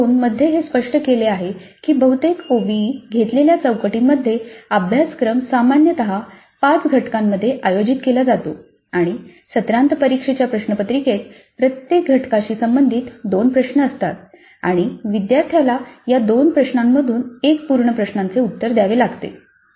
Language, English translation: Marathi, The type 2 here it is based on the fact that in most of the OBE adopted frameworks the cellobus is typically organized into five units and the semester end examination question paper has two questions corresponding to each unit and the student has to answer one full question from these two questions